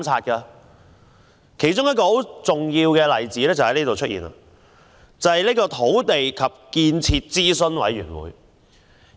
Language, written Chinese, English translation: Cantonese, 一個重要例子是土地及建設諮詢委員會。, An important example is the Land and Development Advisory Committee